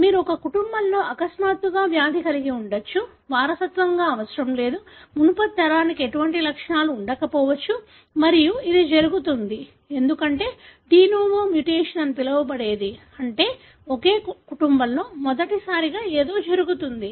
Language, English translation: Telugu, You may have a disease all of a sudden in a family, need not be inherited; the previous generation may not have had any symptoms and this happens, because of what is called as de novo mutation, meaning, something happening for the first time in a family